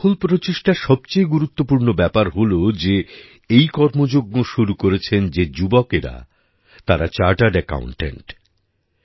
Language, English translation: Bengali, The most important thing about this successful effort is that the youth who started the campaign are chartered accountants